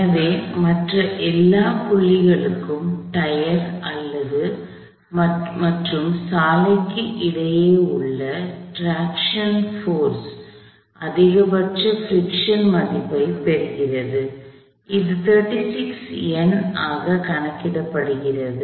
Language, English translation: Tamil, So, for all other points, the traction force between the tyre and the road, takes on the maximum value of the friction possible, which we calculated to be 36 Newton’s